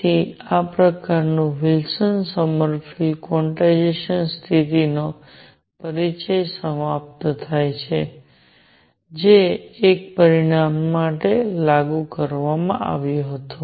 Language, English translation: Gujarati, So, this sort of concludes the introduction to Wilson Sommerfeld quantization condition which has been applied to one dimension